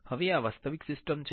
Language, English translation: Gujarati, Now, these are the actual system